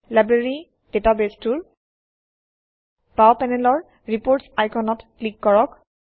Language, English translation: Assamese, In the Library database, let us click on the Reports icon on the left panel